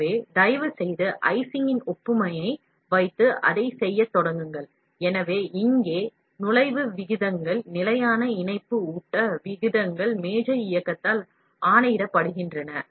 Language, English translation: Tamil, So, please keep the analogy of icing, and then start doing it, so here the feed rates, the constant link feed rates, are a dictated by the table movement